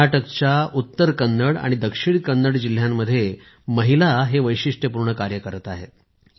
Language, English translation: Marathi, Women in Uttara Kannada and Dakshina Kannada districts of Karnataka are doing this unique work